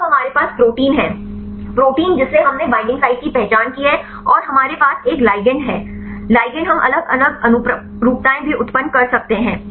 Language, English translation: Hindi, So, now, we have the protein, the protein we identified the binding site and we have a ligand, ligand we can also generate different conformations